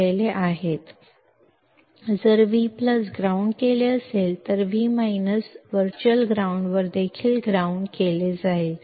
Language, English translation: Kannada, If V plus is grounded, then V minus is also grounded at virtual ground